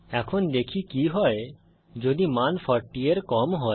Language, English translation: Bengali, Let us see what happens if the value is less than 40